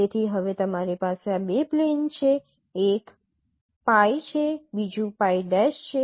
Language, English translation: Gujarati, So now you have this two plane